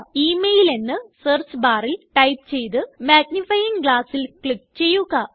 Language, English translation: Malayalam, Now lets type email again in the Search bar and click the magnifying glass